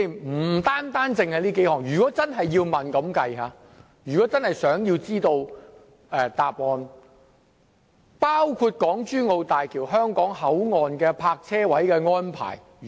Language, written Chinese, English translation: Cantonese, 我們想知道答案的問題，不僅這數項，還包括港珠澳大橋香港口岸的泊車位的安排。, What we wish to know is not merely the answers of these few questions but also the parking arrangement for the Hong Kong Boundary Crossing Facilities HKBCF